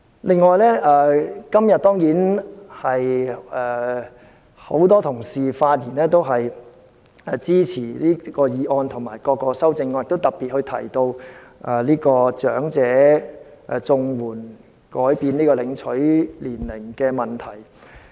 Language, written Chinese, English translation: Cantonese, 另外，當然，今天很多同事發言支持這項議案及各項修正案，亦特別提及更改領取長者綜援的合資格年齡的問題。, Besides certainly today many Honourable colleagues have risen to speak in support of this motion and various amendments . They also particularly mentioned the issue of revising the eligibility age for receiving elderly CSSA